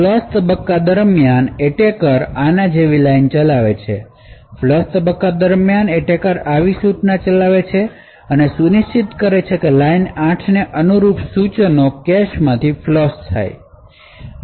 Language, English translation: Gujarati, During the flush phase the attacker executes a line like this, during the flush phase the attacker executes an instruction such as this and ensures that instructions corresponding to line 8 are flushed from the cache memories